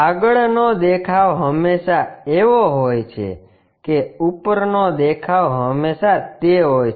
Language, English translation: Gujarati, The front view always be that the top view always be there